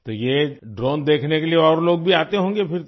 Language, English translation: Hindi, So other people would also be coming over to see this drone